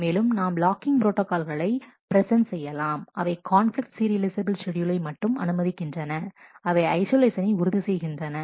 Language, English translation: Tamil, And we will present locking protocols that allow only conflict serializable schedule which ensures isolation